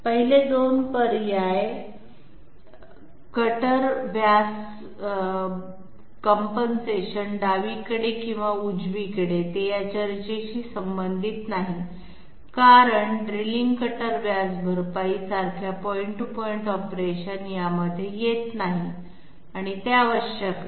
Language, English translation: Marathi, The 1st two first two options, cutter diameter compensation left or right, they are not relevant to this discussion because in point to point operations like drilling cutter diameter compensation does not come into the picture, it is not required